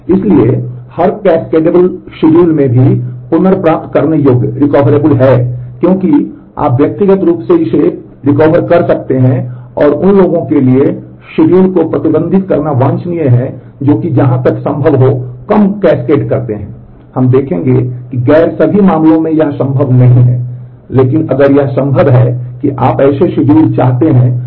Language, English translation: Hindi, So, every cascadable schedule is also recoverable because, you can individually recover that and it is desirable to restrict schedules to those which are cascade less as far as possible, we will see that in non not all cases that is possible, but if it is possible you would like schedules which are cascade less